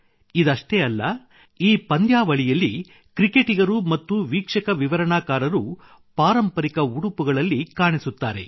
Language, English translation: Kannada, Not only this, in this tournament, players and commentators are seen in the traditional attire